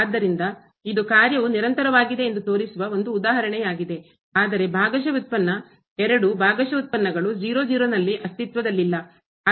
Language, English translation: Kannada, So, that is a one example which shows that the function is continuous, but the partial derivative both the partial derivatives do not exist at